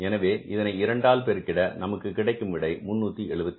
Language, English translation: Tamil, So, if you multiply by 2 this works out as how much, again 3